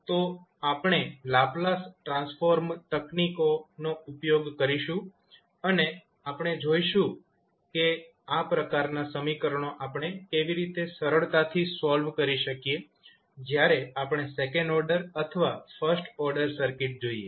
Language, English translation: Gujarati, So, we will use the Laplace transform techniques and see how we can easily solve those kind of equations, when we see the second order or first order circuits, thank you